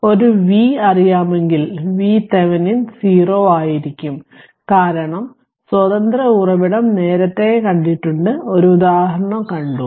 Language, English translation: Malayalam, So, if know a V that means, V Thevenin will be 0 because no your what you call independent source is there earlier also you have seen one example